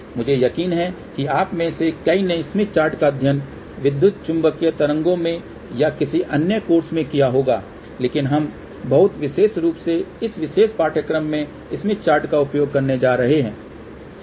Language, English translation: Hindi, I am sure many of you would have studied smith chart in the electromagnetic waves or some other course, but since we are going to use smith chart in this particular course very heavily